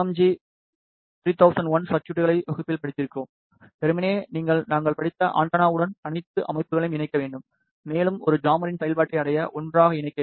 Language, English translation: Tamil, So, we have studied the VCO circuits, we have studied the MMG 3001 circuit in the class, and simply you have to connect all the systems along with the antenna that we have also studied, and connected together properly to achieve the functionality of a jammer